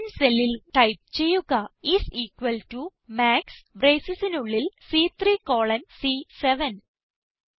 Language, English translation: Malayalam, In the cell C10 lets type is equal to MAX and within braces C3 colon C7